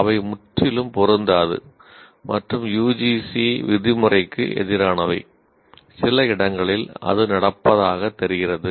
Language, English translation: Tamil, They are totally incompatible and against the UGC norm, though in some places it seems to be happening